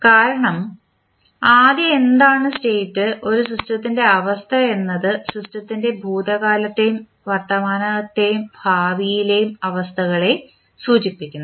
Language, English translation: Malayalam, Because, first let us understand what is the state, state of a system refers to the past and present and future conditions of the system